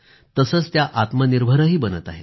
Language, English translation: Marathi, It is becoming self reliant